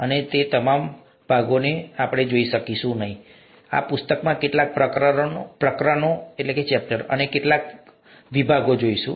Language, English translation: Gujarati, We will not be looking at all parts of it; we’ll be looking at some chapters and some sections of some chapters in this book